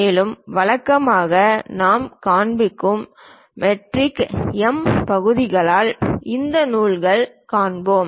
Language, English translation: Tamil, And usually these threads by metric M portions we will show